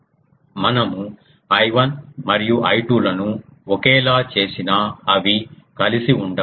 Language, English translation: Telugu, Even if we make I 1 and I 2 same they won't be together